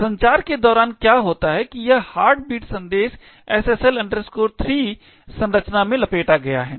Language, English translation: Hindi, Now, what happens during the communication is that this particular heartbeat message is wrapped in SSL 3 structure